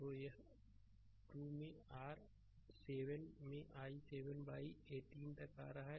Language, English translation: Hindi, So, it is coming 2 into your 7 by 17 by 18